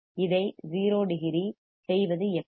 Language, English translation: Tamil, How can I make it 0 degree